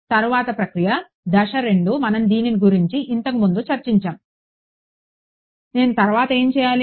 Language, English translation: Telugu, Next step; step 2 we discuss this previously what do I do next